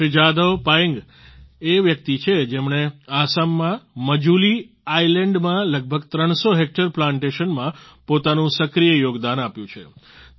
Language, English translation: Gujarati, Shri Jadav Payeng is the person who actively contributed in raising about 300 hectares of plantations in the Majuli Island in Assam